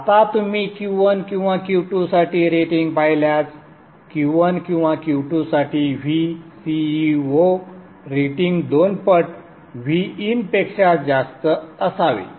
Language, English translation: Marathi, Now if you look at the rating for Q1 or Q2, see the VCEO rating for either Q1 or Q2 is should be greater than 2 times VIN